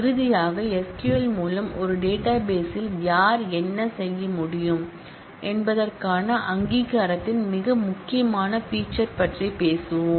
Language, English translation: Tamil, And finally, we will talk about a very important aspect of authorisation as to who can do what in a database in through SQL